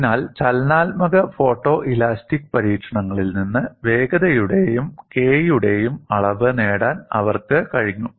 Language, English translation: Malayalam, So, from dynamic photo elastic experiments, they were able to get the measurement of velocity as well as K and what does this show